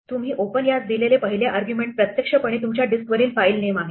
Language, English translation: Marathi, The first argument that you give open is the actual file name on your disk